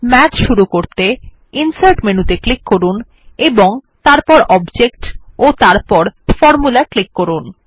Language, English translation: Bengali, Let us call Math by clicking Insert menu, then Object and then Formula